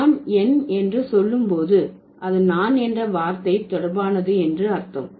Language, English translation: Tamil, When I say my, that means it's related to the word I